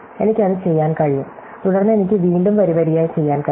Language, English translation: Malayalam, So, I can do that and then I can again I do row by row